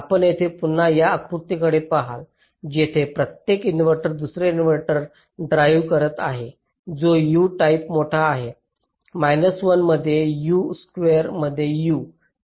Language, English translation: Marathi, you see, here, you look at this diagram again ah, here each inverter is driving another inverter which is u time larger, one into u, u, u, into u, u square